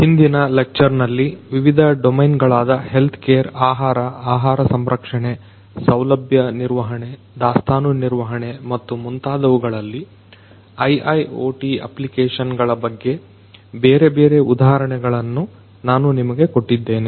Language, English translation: Kannada, In the previous lectures, I have given you different examples of application of IIOT in different domains such as healthcare, food, food processing, facility management, inventory management and so on and so forth